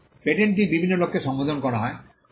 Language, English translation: Bengali, The patent is addressed to a variety of people